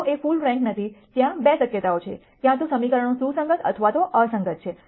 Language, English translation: Gujarati, If A is not full rank there are 2 possibilities either the equations are consistent or inconsistent